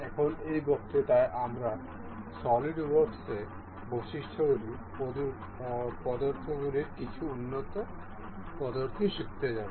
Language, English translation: Bengali, Now, in this lecture, we will go on some to learn some advanced methods of the methods feature featured in solid works